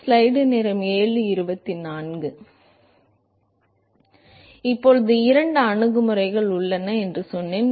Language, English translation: Tamil, So now we said there are two approaches